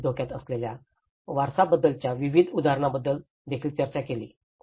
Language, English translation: Marathi, We did also discussed about various examples on heritage at risk